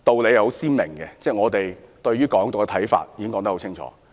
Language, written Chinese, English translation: Cantonese, 顯而易見，我們對"港獨"的立場十分清楚。, Obviously we have a clear stance on the issue of Hong Kong independence